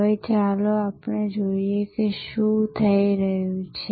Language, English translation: Gujarati, Now, let us see what is happening